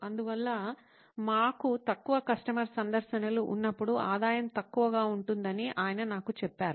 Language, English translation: Telugu, So he told me that when we have fewer customer visits, the revenue is low